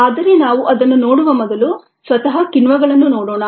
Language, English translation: Kannada, but before we look at that, let us look at enzymes themselves